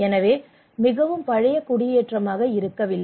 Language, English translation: Tamil, So from it was not a very old settlement as such